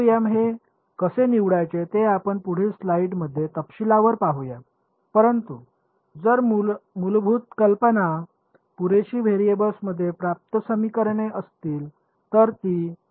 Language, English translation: Marathi, So, how to choose these w ms we will look at in detail in the following slides ok, but if the basic idea here is enough equations in enough variables that is the objective ok